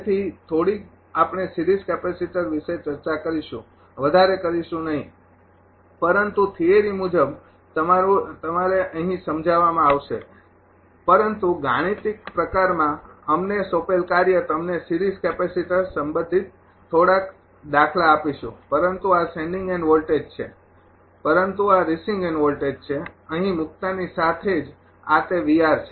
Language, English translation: Gujarati, So, little bit we will discuss ah series capacitor not much, but ah your ah as per as theory is concerned will be explained here, but in the numerical type we assignment we will give you some ah problem regarding a series capacitor, but this is sending end voltage, but this is receiving end voltage as soon as you put this here it is V R